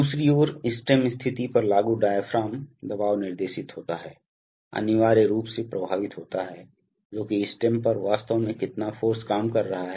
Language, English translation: Hindi, On the other hand, the diaphragm pressure applied to stem position is guided, is essentially affected by how much force is actually acting on the, on the stem